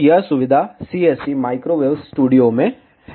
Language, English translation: Hindi, So, this feature is in CST microwave studio